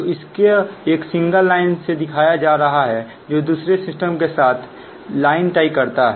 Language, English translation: Hindi, so just showing like this by a single line, that tie line into other system, right, other system